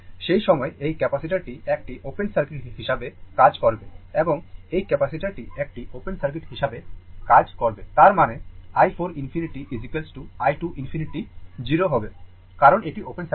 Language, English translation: Bengali, At that time, this capacitor will act as open circuit and this capacitor will act as open circuit; that means, i 4 infinity is equal to i 2 infinity will be 0